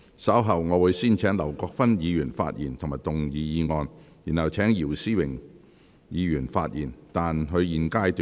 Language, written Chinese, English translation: Cantonese, 稍後我會先請劉國勳議員發言及動議議案，然後請姚思榮議員發言，但他在現階段不可動議修正案。, Later I will first call upon Mr LAU Kwok - fan to speak and move the motion . Then I will call upon Mr YIU Si - wing to speak but he may not move the amendment at this stage